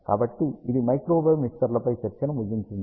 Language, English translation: Telugu, So, this concludes a discussion on Microwave Mixers